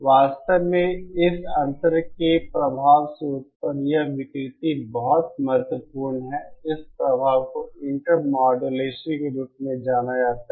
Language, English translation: Hindi, In fact, so significant is this distortion produced by this effect this intermodulation, this effect is known as intermodulation